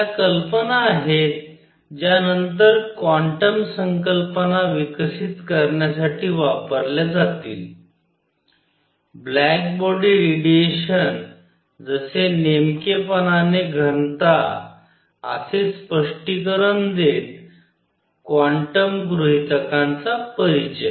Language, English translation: Marathi, These are ideas that will be used then to develop the concept of quantum; introduction of quantum hypothesis explaining the black body radiation as specifically density